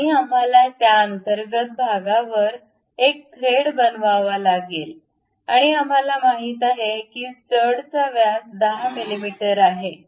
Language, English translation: Marathi, And we have to make thread over that internal portion and we know that the stud has diameter of 10 mm